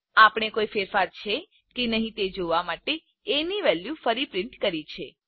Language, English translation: Gujarati, We again print as value to see that there are no further changes